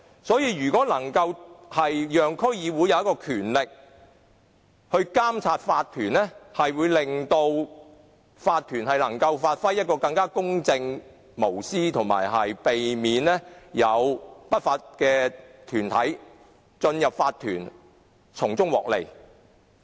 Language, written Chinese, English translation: Cantonese, 所以，如果能賦予區議會權力來監察法團，便能夠令法團更公正和無私，以及避免有不法團體進入法團從中漁利。, Hence if DCs can be vested with powers to monitor OCs it can make OCs work more impartially and selflessly and prevent any unscrupulous bodies from fishing for any gains in OCs